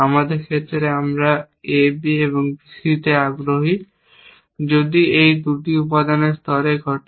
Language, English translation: Bengali, In our case, we are interested in on A B and on B C, if these 2 occur in a proportion layer